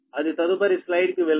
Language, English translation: Telugu, that is going to the next slide